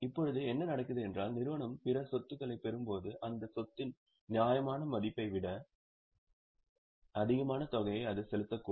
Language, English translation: Tamil, Now what happens is when company acquires other assets, it may pay more than what amount is a fair value of that asset